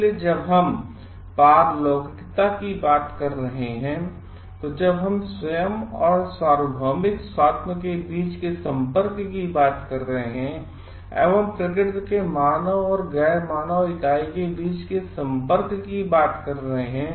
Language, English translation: Hindi, So, when we are talking of transcendentalism, when we are talking of connectivity between oneself and the universal self, the connectivity between the human and the non human entity of the nature